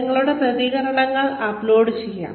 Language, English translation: Malayalam, You could upload your responses